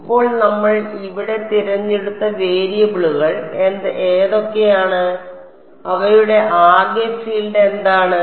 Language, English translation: Malayalam, Now what are the variables that we have chosen over here what are they total field